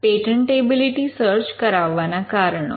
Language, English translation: Gujarati, Reasons for ordering a patentability search